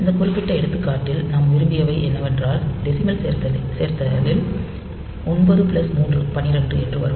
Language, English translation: Tamil, So, what in this particular example what we wanted is that we will do a decimal addition that is 9 plus 3 12